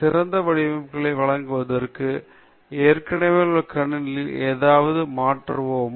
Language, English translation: Tamil, Can we change something in the existing system to give better results